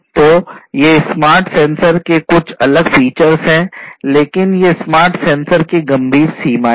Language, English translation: Hindi, So, these are some of these different features of the smart sensors, but these smart sensors have severe limitations